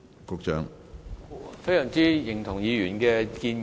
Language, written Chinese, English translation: Cantonese, 我非常認同議員的建議。, I very much agree with the Honourable Members suggestion